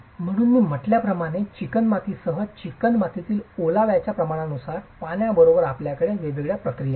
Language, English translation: Marathi, So as I said, depending on the moisture content in the clay along with the kneaded along with water, you have different processes